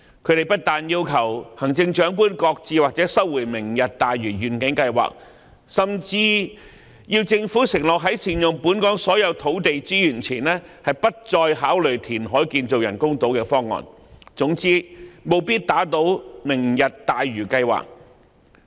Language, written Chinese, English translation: Cantonese, 他們不但要求行政長官擱置或收回"明日大嶼"計劃，甚至要求政府承諾在善用本港所有土地資源前，不再考慮填海建造人工島的方案，總之務必要打倒"明日大嶼"計劃。, Not only have they requested the Chief Executive to shelve or withdraw the Lantau Tomorrow Plan but they have also asked the Government to undertake that it will not give any further thoughts to the idea of building any artificial island through reclamation before optimizing all land resources in Hong Kong . They have sought to overturn the Lantau Tomorrow Plan no matter what